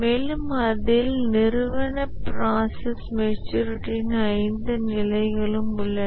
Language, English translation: Tamil, There also we have five levels of organizational process maturity and so on